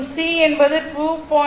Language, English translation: Tamil, So, and and C is given 2